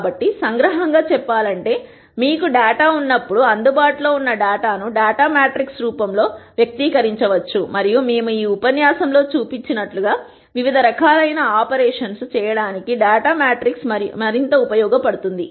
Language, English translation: Telugu, So, to summarize, when you have data, the available data can be expressed in the form of a data matrix and as we saw in this lecture this data matrix can be further used to do di erent types of operations